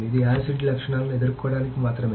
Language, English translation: Telugu, So this is just to counter the acid properties